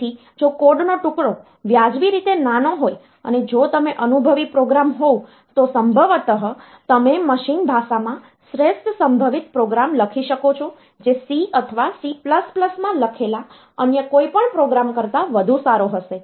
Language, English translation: Gujarati, So, if the a code fragment is reasonably small, and if you are an experienced programmer, then possibly you can write the best possible program in machine language or a so, that you can write a program in machine language which will be better than any other program which is written in C or C++